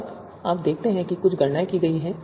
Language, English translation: Hindi, Now you see certain computations have been performed